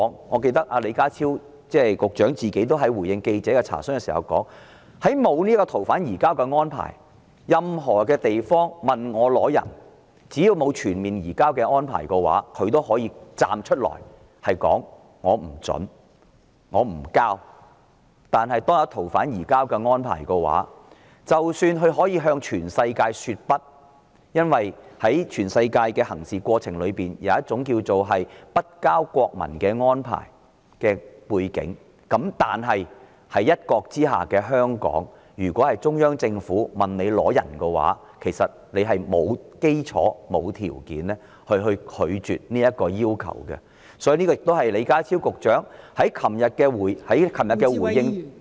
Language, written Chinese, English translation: Cantonese, 我記得李家超局長在回應記者的查詢時亦說過，如果沒有移交逃犯的安排，任何地方向他要人的時候，只要沒有全面移交的安排，他都可以站出來說不准許、不移交，但如果有移交逃犯安排，即使他可以向全世界說"不"——因為在全世界的行事過程中有一種叫"不交國民"的安排——但在"一國"之下的香港，如果中央政府要人，其實是沒有基礎和條件拒絕其要求的，所以，這也是李家超局長在昨天回應......, I remember that when Secretary John LEE responded to queries from journalists he also said that without the arrangements for the surrender of fugitive offenders if any place requested him to hand over someone so long as no comprehensive arrangements for the surrender of fugitive offenders are in place he could come forth to say that he does not approve of it and that no transfer would be made . However if arrangements for the surrender of fugitive offenders are in place even though he can say no to the whole world―because in the dealings throughout the world there is a rule called no transfer of nationals―in Hong Kong under one country if the Central Authorities want someone there is no basis or means to turn down the request so that was the response of Secretary John LEE yesterday